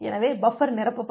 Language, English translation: Tamil, So, the buffer will get filled up